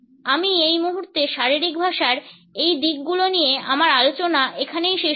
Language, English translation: Bengali, I would end my discussion of these aspects of body language at this point